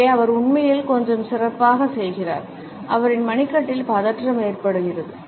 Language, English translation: Tamil, Here he actually does a little bit better he is got some tension going on in his wrist